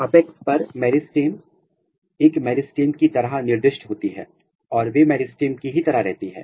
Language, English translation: Hindi, So, apex; at the apex the meristems are specified as a meristem and they remain as a meristem